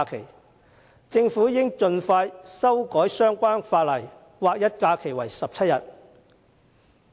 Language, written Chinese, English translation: Cantonese, 我認為政府應盡快修改相關法例，劃一假期為17天。, In my opinion the Government should expeditiously amend the relevant legislation to align the numbers of holidays at 17